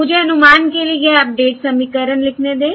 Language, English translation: Hindi, let me write this update equation for estimate